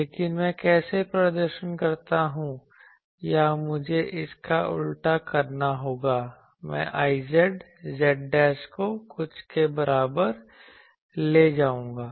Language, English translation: Hindi, But how do I perform or I will have to invert this I will take I z z dash is equal to something